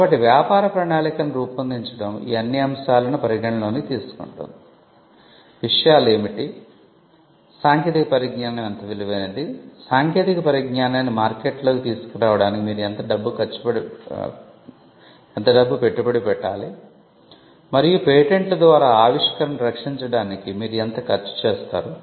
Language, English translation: Telugu, So, making a business plan would involve considering all these factors; what are the things, how value valuable is the technology, how much money you need to invest to bring the technology out into the market and the amount of expenses that you will incur in protecting the invention by way of patents